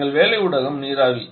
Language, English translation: Tamil, Our working medium is a vapour